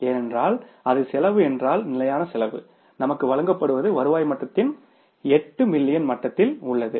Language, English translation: Tamil, So, fixed cost is given to us is at the 8 million level of the revenue it is 180,000